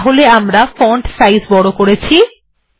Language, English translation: Bengali, I made the font slightly bigger